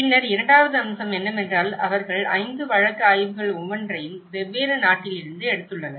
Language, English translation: Tamil, Then, the second aspect is they have taken 5 case studies, each from different country